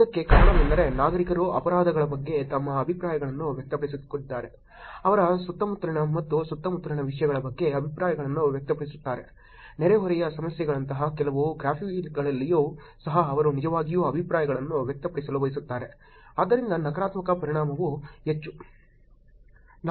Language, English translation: Kannada, The reason for this would be that citizens are expressing their views about crimes, expressing the views about things that are going on and around them, even in the some of the graph seen before like neighborhood problems and they want to actually express the views so therefore the negative affect is higher